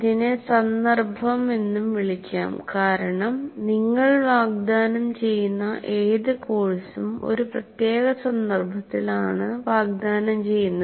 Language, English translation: Malayalam, It can also be called context because any course that you offer is offered in a particular context